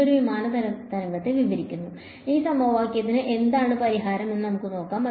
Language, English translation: Malayalam, It describes a plane wave; we can see what is the solution to this equation